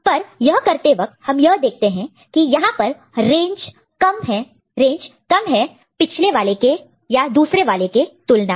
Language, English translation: Hindi, But in doing that what you see the range over here is you know less compared to the range in the other case